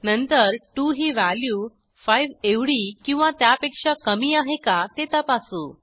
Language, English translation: Marathi, Then we check whether 2 is less than or equal to 5